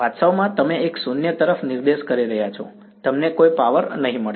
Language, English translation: Gujarati, In fact, you are pointing a null you will get no power